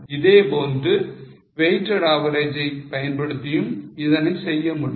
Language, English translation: Tamil, Same way it can be done using weighted average as well